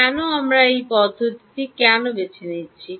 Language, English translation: Bengali, why are we choosing this method at all